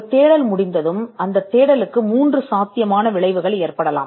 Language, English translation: Tamil, Once a search is done, they could be 3 possible outcomes to that search